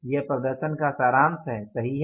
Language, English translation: Hindi, This is a summary of the performance right